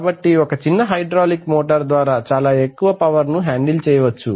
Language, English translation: Telugu, So in a small hydraulic motor you can handle a lot of power